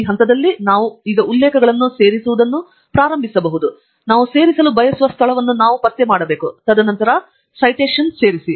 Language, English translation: Kannada, At this point, we can now start inserting the references, we can just locate where we want to insert, and then Insert Citation